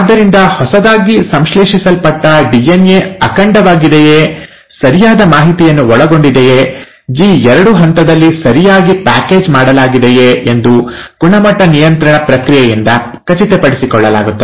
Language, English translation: Kannada, So a quality control exercise to make sure that all that newly synthesized DNA is intact, consists of correct information, is packaged correctly happens in the G2 phase